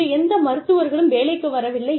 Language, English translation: Tamil, No doctors are coming into work, today